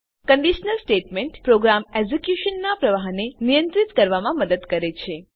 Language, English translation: Gujarati, A conditiona statement helps to control the flow of execution of a program